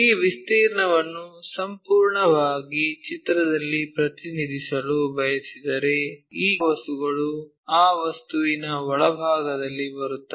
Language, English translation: Kannada, If, we want to really represent this area one completely in the picture, then these things really comes in the inside of that object